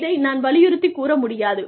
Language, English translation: Tamil, I cannot stress on this enough